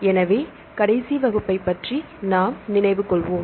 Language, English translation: Tamil, So, let us refresh ourselves about the last class